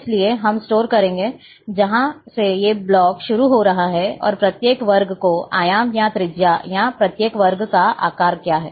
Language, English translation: Hindi, So, we will store, from where this block is starting, and what is the dimension, or radius of each square, or size of each square